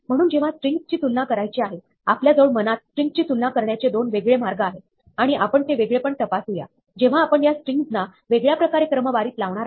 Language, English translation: Marathi, So, when comparing strings, we may have 2 different ways of comparing strings in mind, and we might want to check the difference, when we sort by these 2 different ways